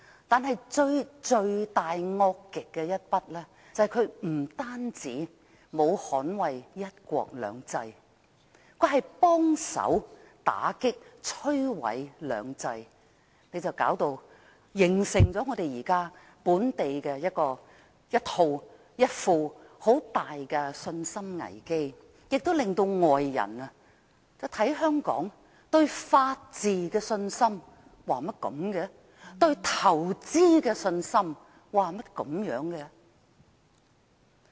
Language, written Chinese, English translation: Cantonese, 但最罪大惡極的一宗，就是他不單沒有捍衞"一國兩制"，更協助打擊和摧毀"兩制"，形成本地一個很大的信心危機，亦令外人對香港法治和在港投資的信心產生疑問。, Although his crimes are indeed too numerous to list his greatest crime is his failure to safeguard one country two systems . What is more he has even assisted in dealing a blow to and destroying the two systems thereby not only causing a major confidence crisis in Hong Kong but also arousing doubts among foreigners about the rule of law as well as confidence in making investments in Hong Kong